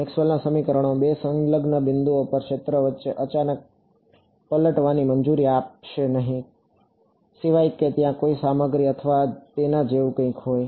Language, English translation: Gujarati, Maxwell’s equations will not allow a sudden flip between the field at 2 adjacent points unless there was some material or something like that